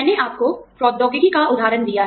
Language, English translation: Hindi, I have given you, the example of technology